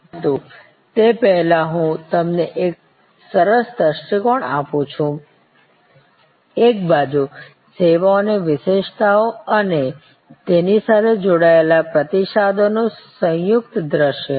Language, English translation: Gujarati, But, before that let me give you a nice view, composite view of the characteristics of services on one side and the responses linked to that